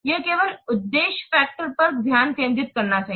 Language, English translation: Hindi, It should only concentrate on the objective factors